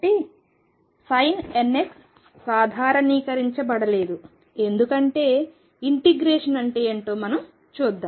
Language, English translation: Telugu, So, the sin n x is not normalized, because let us see what is the integration